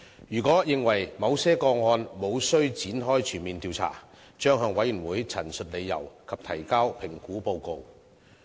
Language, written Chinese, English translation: Cantonese, 如果認為某些個案無須展開全面調查，將向委員會陳述理由及提交評估報告。, If it considers that a full investigation is not warranted for some cases it will state the reasons and submit an assessment report for the Committees consideration